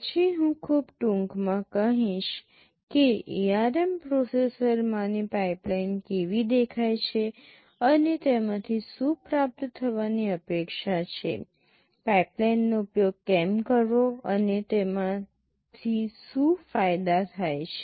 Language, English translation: Gujarati, Then I shall very briefly tell how the pipeline in the ARM processor looks like, and what is expected to be gained out of it, why do use pipeline, what are the advantages that you have out of it